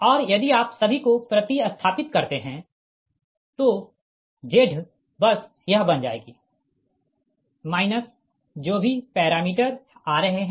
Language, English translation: Hindi, and if you substitute all, then z bus will become this: one minus whatever parameters are coming you put right